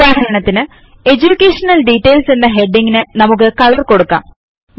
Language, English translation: Malayalam, For example, let us color the heading EDUCATION DETAILS